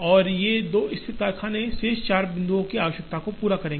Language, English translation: Hindi, And these two located factories will cater to the requirement of the four remaining points